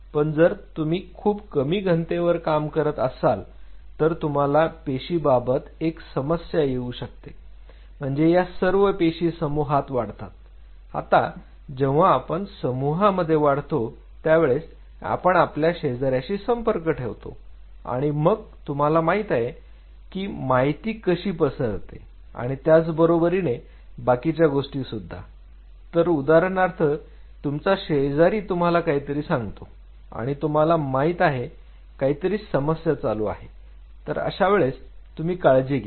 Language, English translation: Marathi, So, if you go very low density the problem is for the cells to so cells they grow in colonies and when we grow in a colony we interact with our neighbors and you know in the information transfer and all those kinds of stuff which happens which is strengthened say for example, your neighbor tells you, you know there is a there is this problem happening